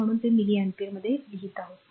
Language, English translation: Marathi, So, that is why you are writing it is milli ampere